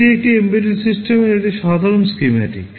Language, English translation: Bengali, This is a general schematic of an embedded system